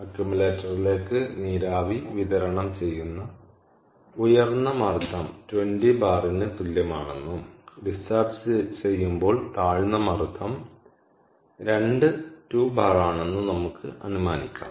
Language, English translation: Malayalam, now, let us assume, lets assume, that the high pressure, i mean at which steam is um supplied to accumulator, is equal to twenty bar and the low pressure, where it is discharge, is two bar